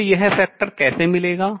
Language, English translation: Hindi, How would I get this factor